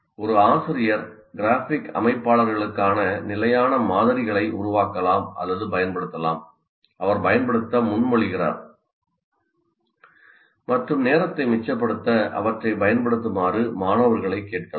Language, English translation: Tamil, A teacher can generate or make use of standard templates for the graphic organizers he proposes to use and ask the students to use them to save time